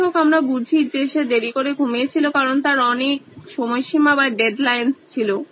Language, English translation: Bengali, However we realize that he has been going to sleep late because he had too many deadlines